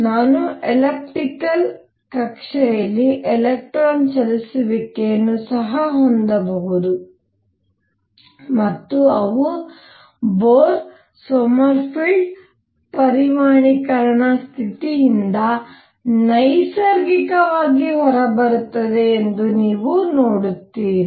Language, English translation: Kannada, I can also have an electron moving in an elliptical orbit and how are these described and you will see that they come out naturally from Bohr Sommerfeld quantization condition